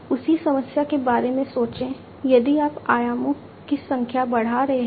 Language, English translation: Hindi, Think about the same problem, if you are increasing the number of dimensions right